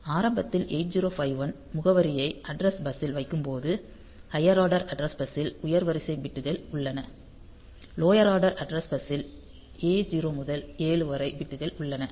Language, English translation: Tamil, So, in the initially when 8051 puts the address onto the address bus; the higher order address bus contains the higher order bits, lower order address bus contains the bits A 0 to A 7